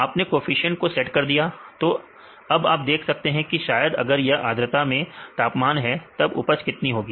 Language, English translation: Hindi, You set the coefficients, then you can see probably if this is the temperature in the humidity then what will be the yield